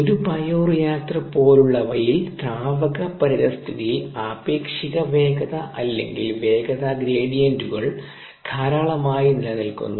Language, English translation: Malayalam, in a fluid environment, such as in a bioreactor, relative velocities or velocity gradients exist in abundance